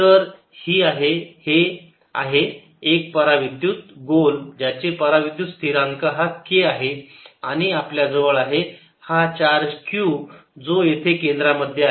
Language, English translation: Marathi, so this is a dielectric sphere of dielectric constant k and we have a charge q at the centre of it